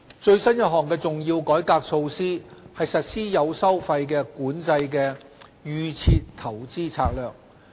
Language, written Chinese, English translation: Cantonese, 最新一項的重要改革措施是實施有收費管制的"預設投資策略"。, The latest important reform initiative is the implementation of the fee - controlled Default Investment Strategy DIS